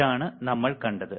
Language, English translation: Malayalam, This is what we have seen